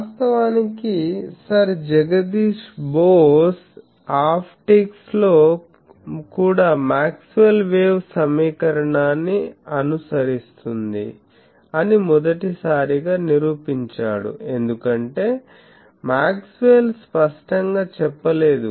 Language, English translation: Telugu, Actually, Sir Jagadish Bose proved that optics also waves Maxwell’s equation for the first time he proved it because Maxwell did not say that explicitly